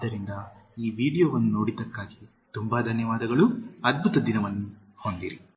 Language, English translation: Kannada, So, thank you so much for watching this video, have a wonderful day